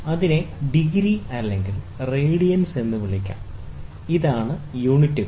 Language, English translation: Malayalam, One may call it degree or radians, this will be the units